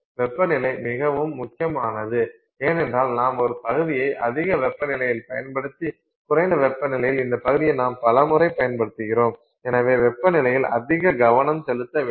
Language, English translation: Tamil, Temperature is critical because you can use the part at higher temperature, you can use the part at lower temperature, many times this is happening and so we are having greater focus on the temperature